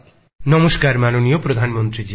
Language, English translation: Bengali, Namaskar respected Prime Minister ji